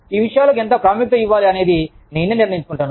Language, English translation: Telugu, I decide, how much importance, i give to these things